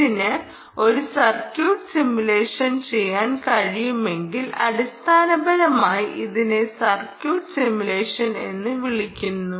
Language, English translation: Malayalam, you can simulate the circuit if it can do a circuit simulation